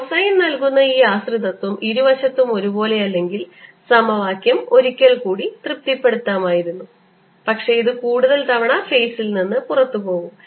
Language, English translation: Malayalam, if this dependence, which is given by cosine whose, not the same on both sides although it could have the, the equation could have been satisfied once in a while, but it'll go out of phase further times